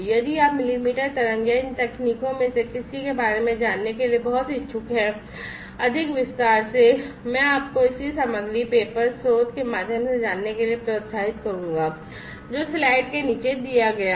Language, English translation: Hindi, So, you know, in case you are very much interested to know about millimetre wave or any of these technologies, in much more detail, I would encourage you to go through the corresponding material, the paper, the source, that is given at the bottom of the slide